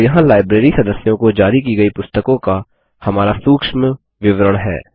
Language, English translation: Hindi, And there is our nice report history on the Books issued to the Library members